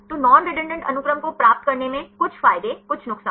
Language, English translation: Hindi, So, in getting the non redundant sequences; some advantages, some disadvantages